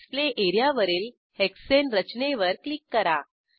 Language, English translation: Marathi, Click on the Hexane structure on the Display area